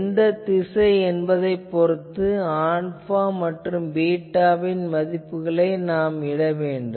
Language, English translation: Tamil, So, whatever in which direction you want to put based on that, alpha, beta can be put the values